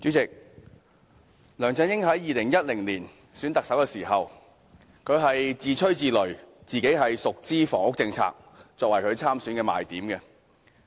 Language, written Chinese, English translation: Cantonese, 代理主席，梁振英在2011年競選特首時，自吹自擂，以自己熟悉房屋政策為其參選的賣點。, Deputy President during LEUNG Chun - yings campaign for the Chief Executive in 2011 he bragged about his competence in handling the housing policies